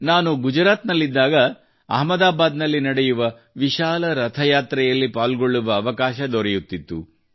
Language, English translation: Kannada, When I was in Gujarat, I used to get the opportunity to attend the great Rath Yatra in Ahmedabad